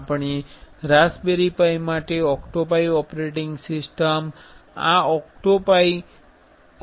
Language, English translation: Gujarati, We can download the OctoPi operating system for raspberry pi from this OctoPrint